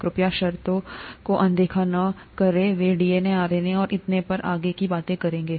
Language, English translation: Hindi, Please ignore the terms, they’ll talk of DNA, RNA and so on and so forth